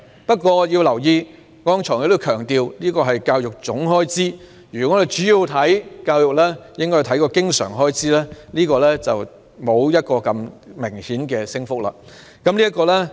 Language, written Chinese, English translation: Cantonese, 不過，我剛才亦強調，這是教育總開支，我們應着重教育方面的經常開支，但有關的升幅沒有那麼明顯。, However as I said just now this is the total expenditure on education and we should focus on the recurrent expenditure where the relevant rate of increase is not so obvious